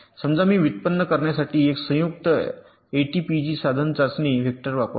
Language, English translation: Marathi, suppose i use a combinational a t p g tool to generate my test vectors